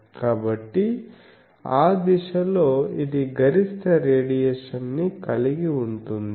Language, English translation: Telugu, So, in that direction, it has the maximum radiation